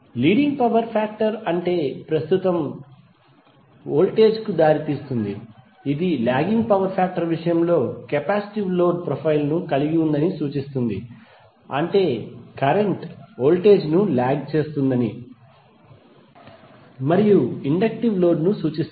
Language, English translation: Telugu, Leading power factor means that currently it’s voltage which implies that it is having the capacitive load file in case of lagging power factor it means that current lags voltage and that implies an inductive load